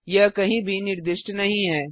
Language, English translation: Hindi, It was not declared anywhere